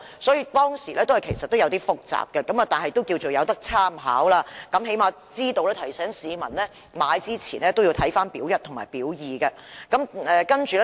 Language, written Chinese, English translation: Cantonese, 雖然《私營骨灰龕資料》有點複雜，但總算有參考價值，起碼可以提醒市民購買龕位前應先查閱"表一"和"表二"。, Although the Information on Private Columbaria is a bit complicated it is of reference value after all for it can at least remind the public to refer to Part A and Part B before buying niches